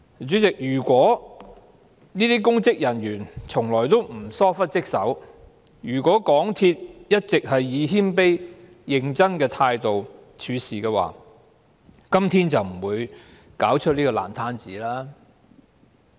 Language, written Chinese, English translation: Cantonese, 主席，如果這些公職人員從來沒有疏忽職守、如果港鐵公司一直是以謙卑和認真的態度處事，今天便不會弄出這個爛攤子了。, President had these public officers never been negligent in performing duties and had MTRCL all along adopted a humble and serious attitude in its dealings we would not have been presented such a mess today